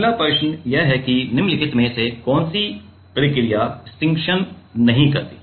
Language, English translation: Hindi, The next question is which of the following process will not avoid stiction